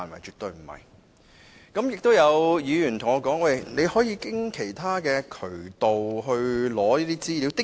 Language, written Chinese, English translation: Cantonese, 此外，有議員說可以循其他渠道取得資料。, Some Members have also suggested obtaining information through other channels